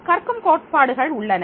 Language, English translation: Tamil, The learning theories are there